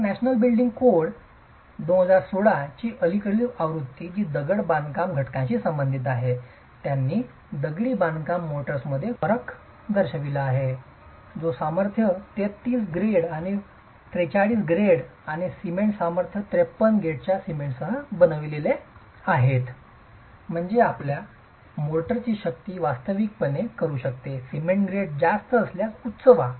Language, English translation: Marathi, So, the recent version of the National Building Code 2016, which deals with the masonry constituents, has specifically brought in a distinction between masonry motors that are made with cement of strength 33 and 43 grade and cement strength 53 grade, which means your motor strength can actually be higher if the cement grade is higher